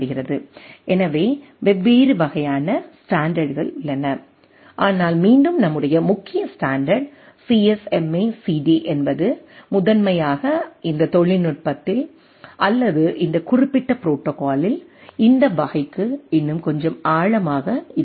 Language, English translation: Tamil, So, there are different type of standard, but our again as our predominant standard is CSMA/CD will be primarily looking little more deep into this type of in this technology or in this particular protocol right